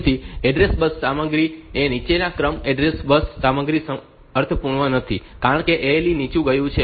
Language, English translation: Gujarati, So, that the address bus content is the lower order address bus content is not meaningful, because ALE has gone low